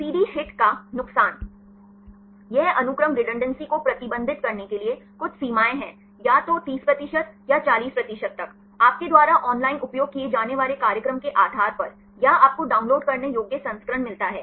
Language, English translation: Hindi, The disadvantage of CD HIT, it has some limitations to restrict the sequence redundancy, either up to 30 percent or 40 percent, depending upon the program you use online, or you get the downloadable version